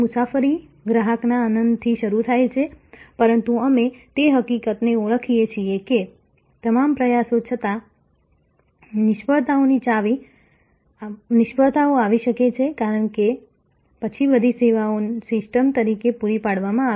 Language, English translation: Gujarati, The journey starts from customer delight, but we recognize the fact that in spite of all efforts, there may be failures, because after all services are provided as a system